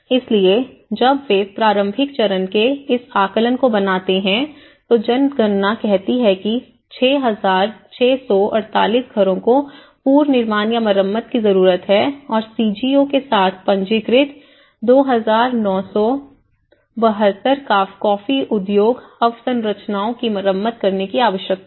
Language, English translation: Hindi, So, when they make this assessment of the early stage the census says 6,648 houses need to be reconstructed or repaired and 2,972 coffee industry infrastructures registered with the CGO need to be repaired